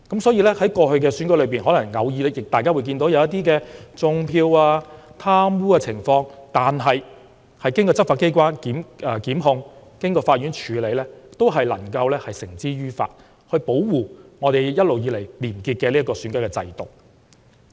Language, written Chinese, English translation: Cantonese, 所以，在過去的選舉中，大家偶然看見"種票"和貪污的情況，但經執法機關檢控及法院處理後，均能將違法者繩之於法，保護香港一直以來廉潔的選舉制度。, Hence in the past despite the occasional cases of vote rigging and corrupt conducts through the efforts of law enforcement agency the offenders were prosecuted and brought to justice after the court meted out punishments to them . Through such efforts Hong Kong was able to keep its election system clean and free from corruption